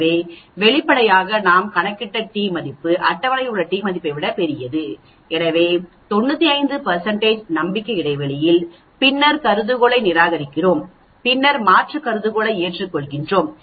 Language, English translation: Tamil, So obviously, the t value we calculate is much larger than the table t so we reject the null hypothesis at 95 % confidence interval, then we accept the alternate hypothesis